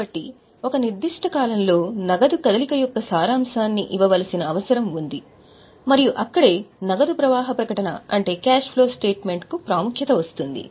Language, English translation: Telugu, So, there is a need to give a summary of movement of cash in a period and there comes the importance of cash flow statement